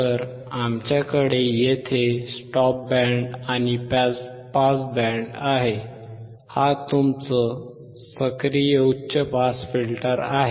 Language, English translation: Marathi, So, we have here stop band, we have here pass band; this is your active high pass filter